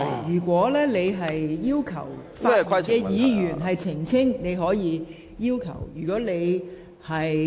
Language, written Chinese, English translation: Cantonese, 如果你想要求發言的議員澄清，你可以提出要求。, If you wish to seek an elucidation from the Member speaking you may make such a request